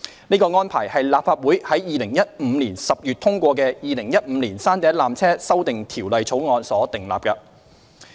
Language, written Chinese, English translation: Cantonese, 這安排是立法會於2015年10月通過的《2015年山頂纜車條例草案》所訂立的。, This arrangement was provided for in the Peak Tramway Amendment Bill 2015 passed by the Legislative Council in October 2015